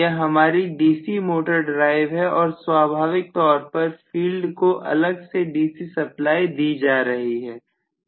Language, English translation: Hindi, So this is going to be my DC motor drive and of course field separately given to the DC supply